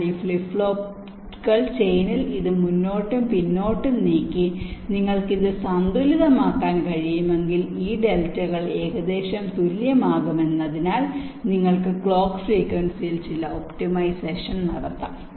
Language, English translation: Malayalam, but you, we, if you can balance this out by moving this flip pops forward and backward in the change such that this deltas can become approximately equal, then you can carry out some optimization with respective to the clock frequency